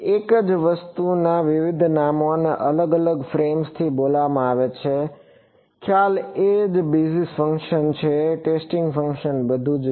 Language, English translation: Gujarati, The same thing is being called by different names and different frames; the concept is the same basis function, testing function that is all